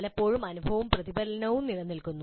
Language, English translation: Malayalam, Often experience and reflection coexist